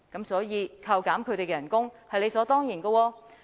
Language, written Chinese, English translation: Cantonese, 所以，扣減他們的薪酬是理所當然的。, Therefore deducting their salaries is absolutely justifiable